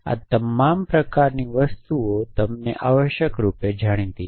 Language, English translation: Gujarati, All kinds of things are known to you essentially